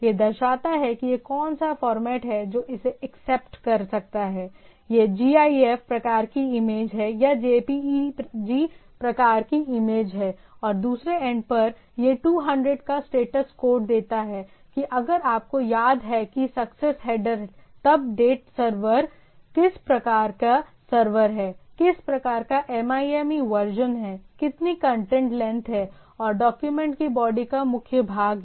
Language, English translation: Hindi, So, that it shows that what are the format it can accept right, it is a image of gif type or image of jpeg type and the at the other end, it gives a status of 200 that if you remember that the success header, then the date server is what sort of server, what sort of MIME version is there how much content length is there and the body of the document right